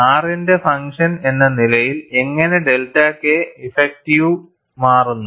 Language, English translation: Malayalam, As a function of R, how does delta K effective changes